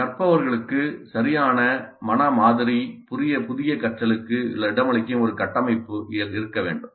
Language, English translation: Tamil, And the learners must have a correct mental model, a structure which can accommodate the new learning